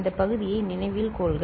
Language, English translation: Tamil, Please note this part ok